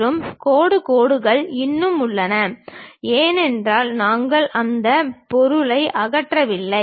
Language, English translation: Tamil, And dashed lines still present; because we did not remove that material